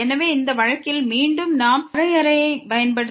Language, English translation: Tamil, So, in this case again we use the definition